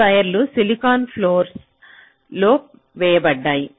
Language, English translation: Telugu, now this wires are laid out on the silicon floor